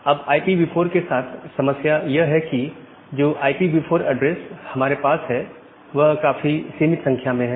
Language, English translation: Hindi, So, the problem which we have with IPv4 addressing is that the number of IPv4 address that we have they are very limited